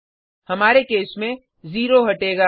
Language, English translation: Hindi, In our case, zero will be removed